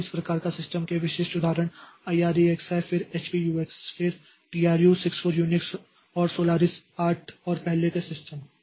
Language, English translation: Hindi, , the typical examples of this type of system is Irix, then HPUX, then 2 64 Unix and Solar is 8 and earlier systems